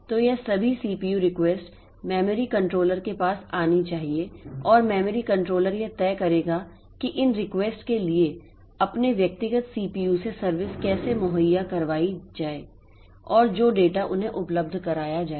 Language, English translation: Hindi, So, all this CPU requests that are coming should be coming to the memory controller and the memory controller will in turn decides like how to provide service for these requests from the individual CPUs and the data made available to them